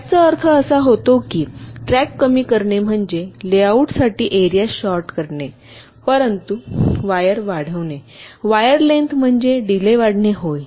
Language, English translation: Marathi, shorter tracks do mean that reducing tracks means shorter area for layout, but increasing wires wire length may mean and increase in delay